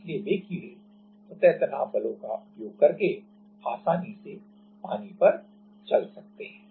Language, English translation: Hindi, So, those insects can easily walk on water using the surface tension forces